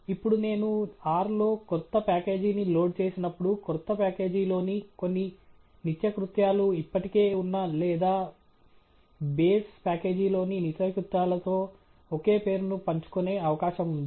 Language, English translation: Telugu, Now, when I load a new package in R, always there is a possibility that some of the routines in the new package share the same name with the routines in the existing or the base package